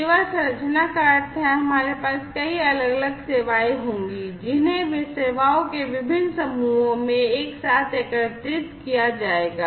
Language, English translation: Hindi, Service composition means like we will have multiple different services, which will be aggregated together into different clusters of services